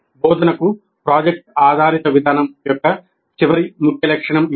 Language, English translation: Telugu, This is the last key feature of the project based approach to instruction